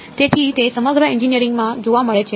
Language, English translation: Gujarati, So, it is found throughout engineering